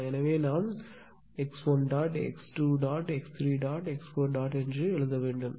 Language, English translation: Tamil, So, we have to write down x 1 dot, x 2 dot, x 3 dot and x 4 dot